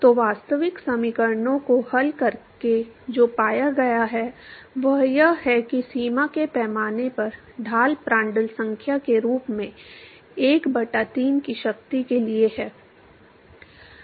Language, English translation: Hindi, So, by solving the actual equations what has been found, is that the gradient at the boundary scales as Prandtl number to the power of 1 by 3